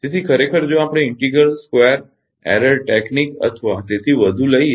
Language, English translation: Gujarati, So, actually if we take integral square error technique or so